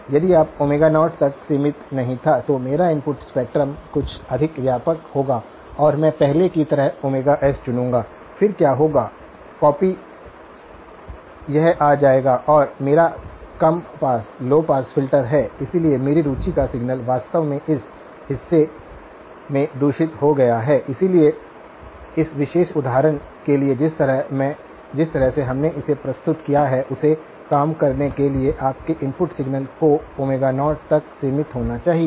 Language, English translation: Hindi, If it was not been limited to Omega naught, then my input spectrum would be something much wider okay and I would pick Omega s as before, then what would happen; the copy would come this far and my low pass filter is; so, my signal of interest actually has been corrupted in this portion, so in order for this particular example to work the way we have presented it, your input signal must be band limited to Omega naught